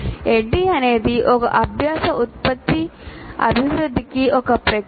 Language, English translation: Telugu, So, ADI is a process for development of a learning product